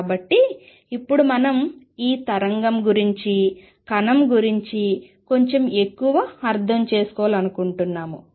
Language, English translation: Telugu, So, having done that now we want to understand about this wave when the particle little more